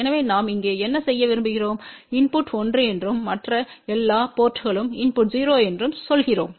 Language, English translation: Tamil, So, what we want to do here let us say input is 1 and the input at all these other ports is 0